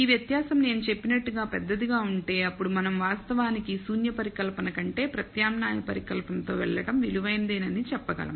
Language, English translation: Telugu, This difference if it is large enough as I said then we can actually say maybe it is worthwhile going with the alternate hypothesis rather than null hypothesis